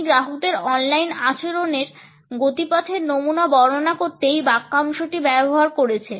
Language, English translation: Bengali, And he used this phrase to describe track able patterns in online behaviour of customers